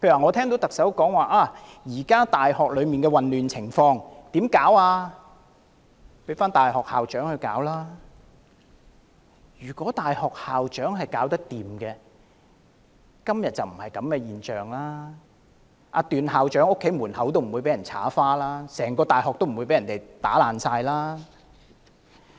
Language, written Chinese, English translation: Cantonese, 例如特首說現時在大學出現的混亂情況，要交由大學校長處理，但大學校長如能處理，便不會出現今天的現象，段校長的家門遭到塗鴉，整間大學也被破壞。, For example according to the Chief Executive the chaotic situations of some universities at present should be left to university heads to handle but if they had the ability to tackle the problems things would not have developed to the present state where graffiti can be found on the door of Vice Chancellor TUANs residence and signs of damage are seen in the entire university